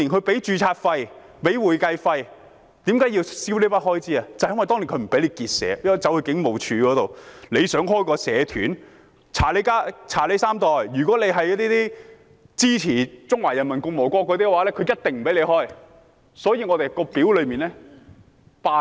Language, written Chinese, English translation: Cantonese, 這正是因為政府當年不允許我們結社，要申請的話我們必須到警務處，如果想成立社團，便要查你三代，如果是支持中華人民共和國的話，便一定不會批准。, It is precisely because the Government back then did not allow us to set up associations . To submit an application we had to go to the Police and in order to set up an association an applicant as well as his parents and even grandparents would be subject to checks and if the applicant supported the Peoples Republic of China the application would set to be rejected